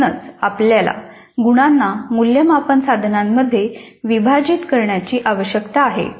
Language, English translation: Marathi, So that is the reason why we need to split the marks into assessment items